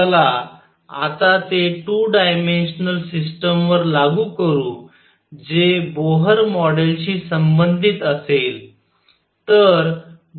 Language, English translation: Marathi, Let us now apply it to a 2 dimensional system which will correspond to Bohr model